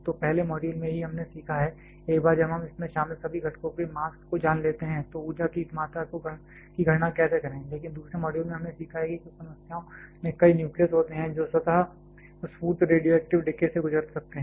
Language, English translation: Hindi, So, in the first modules itself we have learned; how to calculate this amount of energy once we know the mass of all this components involved, but a in the second modules we learned that a while there are several nucleus which can undergo spontaneous radioactive decay